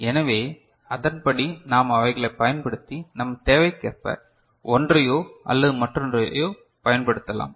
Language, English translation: Tamil, So, accordingly we can employ them and depending on our requirement, we can use one or the other ok